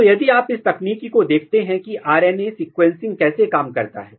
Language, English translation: Hindi, So, if you look the technique how RNA sequencing functions